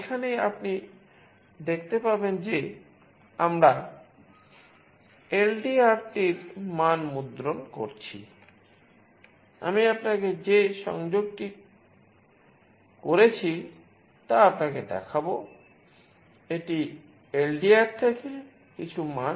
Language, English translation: Bengali, This is where you can see that we are printing the value of LDR, I will show you the connection that I have made